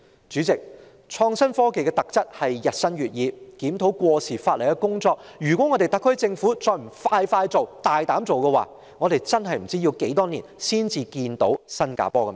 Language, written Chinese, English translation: Cantonese, 主席，創新科技的特質是日新月異，對於檢討過時法例的工作，如果特區政府還不趕快做，大膽做，我們真的不知要待多少年才看見新加坡的"尾燈"。, President one feature of innovation and technology is rapid changes . If the SAR Government does not act swiftly and boldly in reviewing obsolete legislation I wonder how many years we have to wait to get closer to Singapore to actually see its tail lights